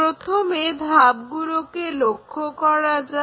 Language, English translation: Bengali, So, let us first look at the steps